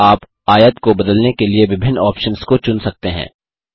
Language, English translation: Hindi, Here you can choose various options to modify the rectangle